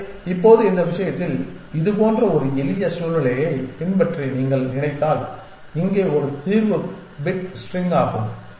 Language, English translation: Tamil, So, in this case now, if you think about a simple situation like this where the solution is the bit string